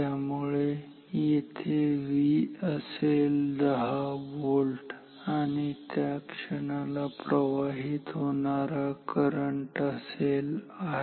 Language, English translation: Marathi, So, here V will be 10 volt and at that moment the current that should flow, so this current is I